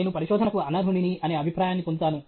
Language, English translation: Telugu, I get an impression that I am unfit for research